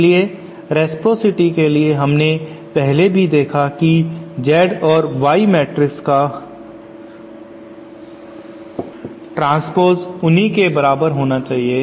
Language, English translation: Hindi, So for reciprocity we already saw that the Z or Y matrix should be equal to its transplacement